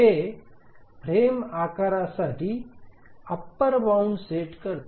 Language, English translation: Marathi, So this sets an upper bound for the frame size